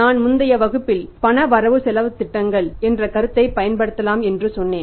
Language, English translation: Tamil, I told you in the say previous class that we can use the concept of cash budgets